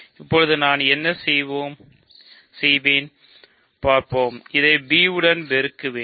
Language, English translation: Tamil, So, now what I will do is I will multiply this with let us see, I will multiply this with b